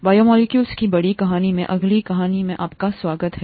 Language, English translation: Hindi, Welcome to the next story in the larger story of biomolecules